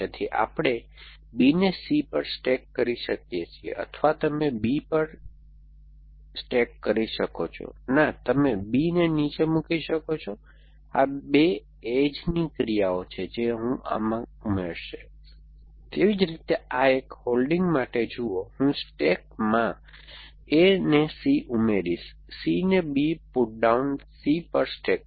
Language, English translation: Gujarati, So, we can stack B on to C, or you can stack B on to, no you can put down B these are two extra actions that I will add to my, likewise for this one holding see I will add stack C on to A, stack C on to B putdown C